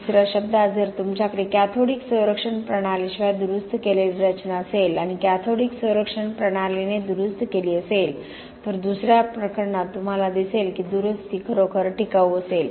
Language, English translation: Marathi, In other words, if you have a structure which is repaired without cathodic protection system and repaired with cathodic protection system, the second case you may see that the repair is actually going to be durable